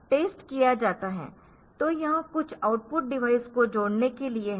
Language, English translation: Hindi, So, this is solved for connecting some output device